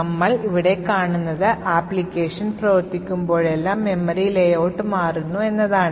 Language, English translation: Malayalam, So, what we see over here is that the memory layout changes every time you run the application